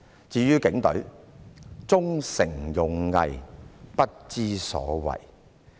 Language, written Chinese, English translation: Cantonese, 至於警隊，"忠誠勇毅，不知所謂！, As regards the Police Force Their slogan of honour duty and loyalty is rubbish!